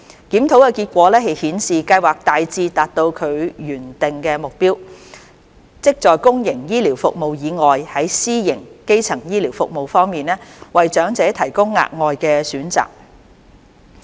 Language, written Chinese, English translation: Cantonese, 檢討的結果顯示，計劃大致達到其原訂的目標，即在公營醫療服務以外，在私營基層醫療服務方面，為長者提供額外的選擇。, The findings of the review showed that the Scheme had largely achieved its intended objective which is to provide elders with additional choices with respect to private primary health care in addition to public health care services